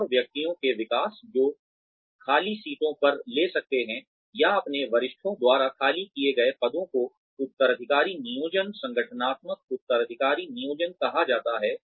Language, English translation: Hindi, And, development of individuals, who can take on the seats vacated, or positions vacated by their seniors, is called succession planning, organizational succession planning